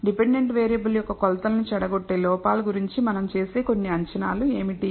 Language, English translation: Telugu, So, what are some of the assumptions that we make about the errors that corrupt the measurements of the dependent variable